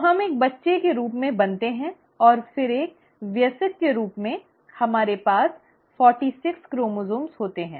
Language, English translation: Hindi, So then, we are formed as a child and then as an adult, we end up having forty six chromosomes